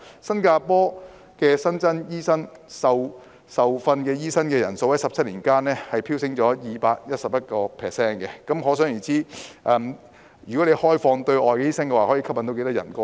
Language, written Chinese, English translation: Cantonese, 新加坡新增的受訓醫生人數在17年間飆升 211%， 可想而知開放對外醫生可以吸引多少人前來。, The number of newly registered OTDs in Singapore has surged by 211 % in 17 years . It can be imagined how many people can be attracted through the policy to admit OTDs